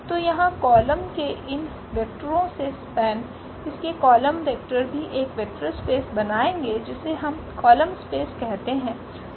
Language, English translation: Hindi, So, here also the span of these vectors of or the columns, column vectors of this a will also form a vector space which we call the column space